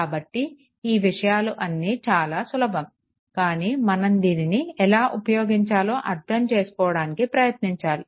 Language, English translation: Telugu, So, things are simple, but we have to try to understand certain things right